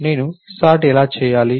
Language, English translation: Telugu, How do I perform purge